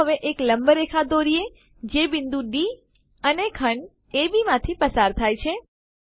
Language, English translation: Gujarati, Lets now construct a perpendicular line which passes through point D and segment AB